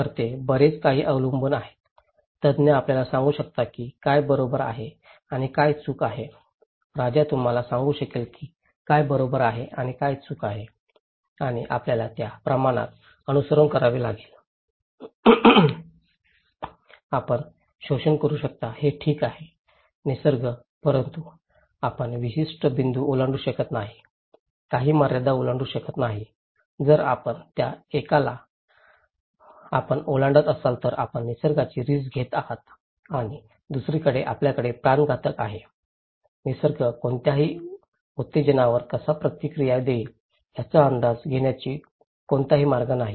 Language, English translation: Marathi, So, they depends much so, expert can tell you what is right and what is wrong, the king can tell you okay that what is right and what is wrong and you have to follow that extent so, it is okay that you can exploit the nature but you cannot cross certain point, cross certain boundaries okay, if you cross that one you are putting the nature at risk and on the other hand, we have fatalists, there is no way to foresee how nature will react to any stimulus